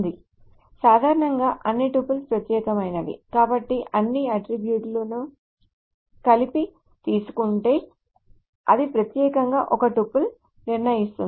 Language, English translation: Telugu, So which means that if all the attributes are taken together, then that uniquely determines a tuple